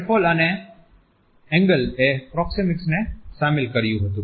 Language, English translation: Gujarati, Raffle and Engle had included proxemics